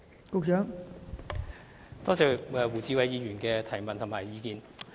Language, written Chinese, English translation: Cantonese, 多謝胡志偉議員的補充質詢及意見。, I thank Mr WU Chi - wai for his supplementary question and views